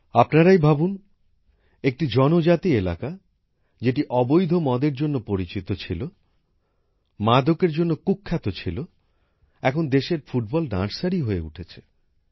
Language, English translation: Bengali, Just imagine a tribal area which was known for illicit liquor, infamous for drug addiction, has now become the Football Nursery of the country